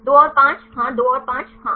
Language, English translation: Hindi, 2 and 5 yeah 2 and 5 yes